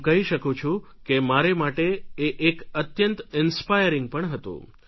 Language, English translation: Gujarati, I can say that it was both inspiring and educative experience for me